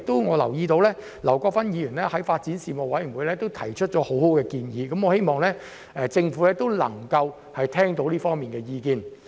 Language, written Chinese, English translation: Cantonese, 我留意到劉國勳議員曾在發展事務委員會就此事提出很好的建議，我希望政府能夠聽到這方面的意見。, I note that Mr LAU Kwok - fan has already made some good suggestions in this regard at the meetings of the Panel on Development . I hope that the Government will listen to these views